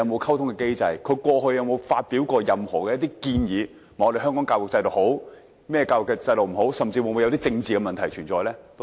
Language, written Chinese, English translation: Cantonese, 其他地方過去曾否發表過任何建議，指香港制度哪些地方好，哪些地方不好，甚至會否有政治的問題存在呢？, In the past have other places given any recommendations and pointed out the merits and demerits of the system in Hong Kong? . Will political issues also be touched upon?